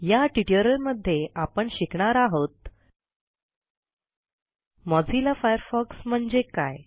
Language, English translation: Marathi, In this tutorial,we will cover the following topic: What is Mozilla Firefox